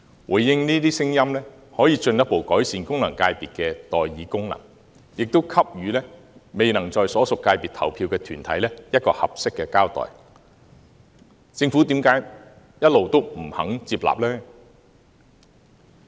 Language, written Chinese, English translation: Cantonese, 回應這些聲音，可以進一步改善功能界別的代議功能，也給予未能在所屬界別投票的團體一個合適的交代，政府為何一直不肯接納呢？, By responding to the voices of the groups the Government can further enhance the function of representation of FCs and give a suitable account to the groups which have previously failed to cast their votes in the relevant FCs . Why has the Government not accepted the proposal?